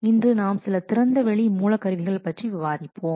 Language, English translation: Tamil, So, today we will discuss what some open source tools